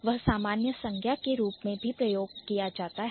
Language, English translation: Hindi, So, generally this is used as a noun